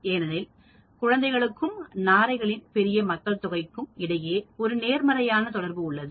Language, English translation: Tamil, Because it has been found that there is a positive correlation between babies born and appearance of large population of storks